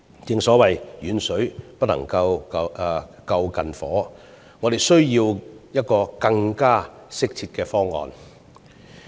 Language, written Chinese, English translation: Cantonese, 正所謂"遠水不能救近火"，我們需要一個更適切的方案。, As the saying goes Water afar off quenches not fire . What we need is a more fitting solution